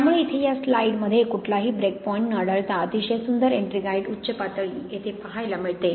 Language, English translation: Marathi, So here we see a slice without any stopping and we can see this very nice ettringite peak here